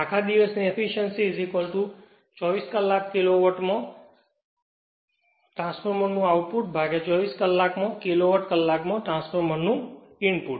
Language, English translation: Gujarati, All day efficiency is equal to output of transformer in kilowatt hour in 24 hours right divided by input to transformer in kilowatt hour in 24 hours right